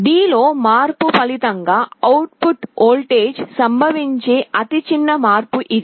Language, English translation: Telugu, This is the smallest change that can occur in the output voltage as a result of a change in D